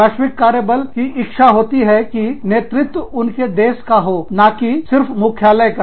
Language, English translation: Hindi, Global workforces, want top level leadership, from within their own countries, not just from headquarters